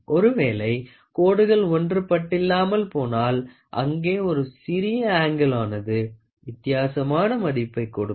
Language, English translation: Tamil, If the lines do not coincides, then that is a small angle which gives you a different value